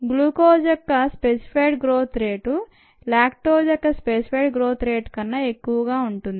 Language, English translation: Telugu, this specific growth rate on glucose would be higher then the specific rate growth rate on lactose